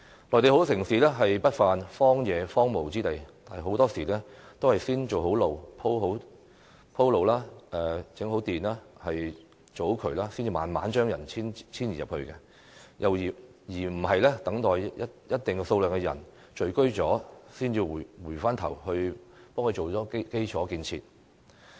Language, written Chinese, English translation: Cantonese, 內地很多城市不乏荒蕪之地，很多時候也是先修建道路、鋪設水電設施、建好渠道後，才慢慢把人遷移進去，而非等一定數量的人聚居後，才回頭補建基礎設施。, Many Mainland cities have large areas of undeveloped sites and in many cases roads are first built and when water and electricity supplies are available people will gradually move in; we should not wait till a certain number of people have settled in a place and then take remedial action to build infrastructure facilities